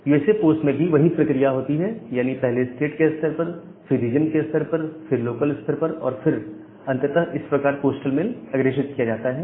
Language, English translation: Hindi, The USA post, again, in the state level then the regional level then your local level and then finally, the things are getting delivered